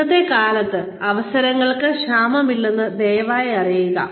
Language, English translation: Malayalam, Please know that, there is no dearth of opportunity, in today's day and age